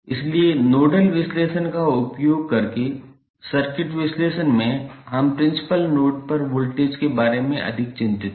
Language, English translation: Hindi, So, in circuit analysis using nodal analysis we are more concerned about the voltages at principal node